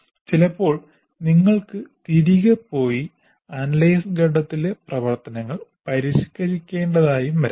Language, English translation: Malayalam, And sometimes you may require to go back and modify the analysis, the activities of the analysis phase